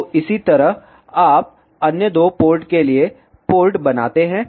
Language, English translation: Hindi, So, in the similar way, you create the port for other two outputs